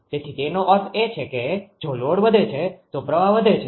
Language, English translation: Gujarati, ah So that means, if load increases current I increases